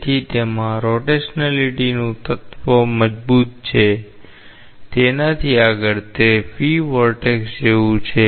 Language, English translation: Gujarati, So, it has a strong element of rotationality; beyond that, it is like a free vortex